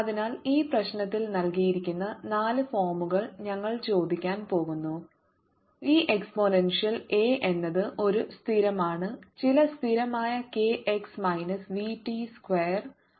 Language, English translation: Malayalam, so in this problem we are going to ask, of the four forms given e exponential a is a constant, some constant k x minus v t, square one form, other form is a exponential i k z plus v t